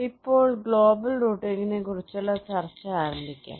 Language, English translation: Malayalam, shall now start our discussion on global routing